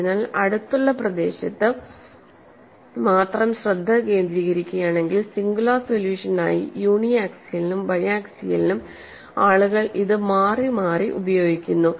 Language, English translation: Malayalam, So, if you are focussing your attention only in region close to this, as a singular solution people have used it interchangeably for uniaxial as well as biaxial